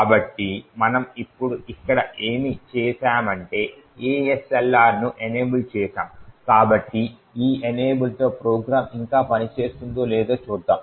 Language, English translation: Telugu, So, what we have done here now is we have enabled ASLR, so with this enabling let us see if the program still works